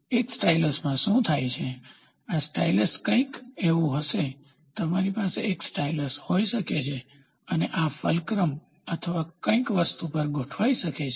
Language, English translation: Gujarati, So, what happens in a stylus, this stylus will be something like, you can have a stylus and this can be resting on a something on a fulcrum or something